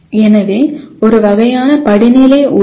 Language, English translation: Tamil, So there is a kind of a hierarchy that is involved